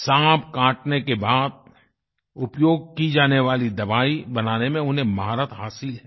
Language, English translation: Hindi, She has mastery in synthesizing medicines used for treatment of snake bites